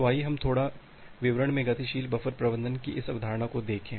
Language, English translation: Hindi, So, let us look in to this concept of dynamic buffer management in little details